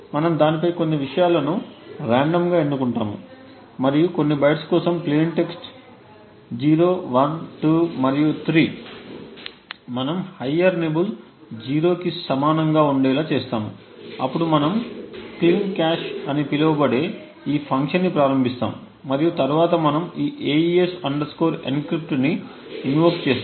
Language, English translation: Telugu, We randomly select some things on it and for certain bytes the plain text 0, 1, 2 and 3 we make the higher nibble to be equal to 0 then we invoke this function called cleancache and then we invoke this AES encrypt